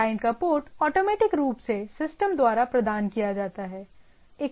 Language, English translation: Hindi, Port of the client is automatically provided by the system if there is no thing